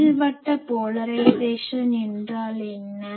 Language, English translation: Tamil, And what is elliptical polarisation